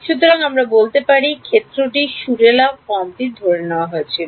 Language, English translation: Bengali, So, we can say harmonic form of the field was assumed